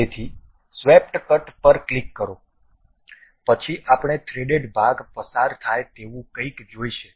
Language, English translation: Gujarati, So, click swept cut then we will see something like a threaded portion passes